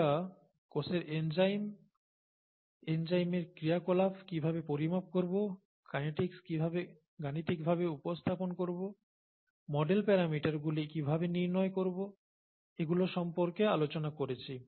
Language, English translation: Bengali, We talked of enzymes in the cell and how to quantify the enzyme activity and how to get how to represent the kinetics mathematically and how to get those parameters, the model parameters